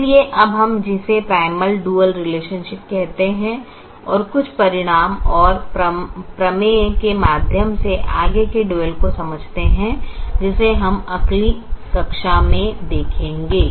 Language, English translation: Hindi, so we now look at what is called primal dual relationships, or understanding the dual further through some results and theorem which we will see in the next class